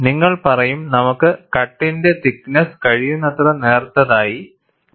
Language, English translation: Malayalam, We will say that, you take the thickness of the cutter as thin as possible, may be of the order of 0